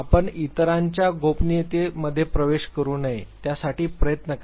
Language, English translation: Marathi, Try your best that you do not intrude into the privacy of others